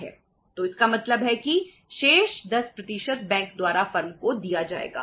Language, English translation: Hindi, So it means the remaining 10% will be given by the bank to the firm